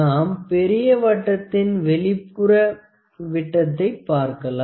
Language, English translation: Tamil, Let us see the external dia of the bigger circle